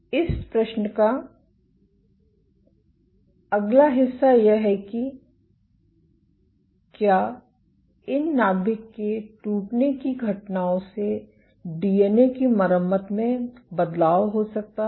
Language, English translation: Hindi, The next part of it is question is, can these nuclear rupture events lead to alterations in DNA repair